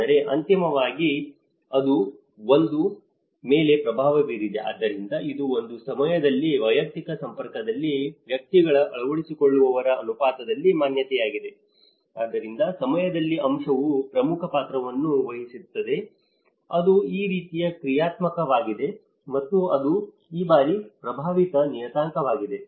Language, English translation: Kannada, But then finally, it has influenced one , so it is the exposure in the proportion of adopters in an individual persons network at a point of time so, the time aspect plays an important role, how it is dynamic and how it is influencing parameters